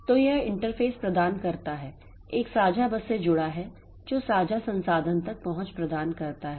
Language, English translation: Hindi, So, so this interface has to be provided connected to a common bus that provides access to shared memory